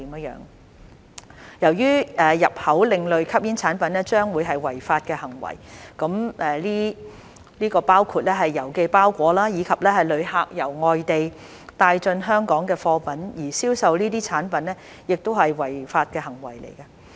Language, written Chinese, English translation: Cantonese, 由於入口另類吸煙產品將會是違法的行為，這包括郵寄包裹，以及旅客由外地帶進香港的貨品，而銷售這些產品亦是違法的行為。, It will be illegal to import ASPs this will include parcels sent by mail and goods that travellers bring into Hong Kong from overseas and it will also be illegal to sell these products